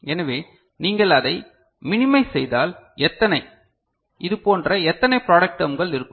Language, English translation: Tamil, So, how many you know if you minimize it, how many such product terms will be there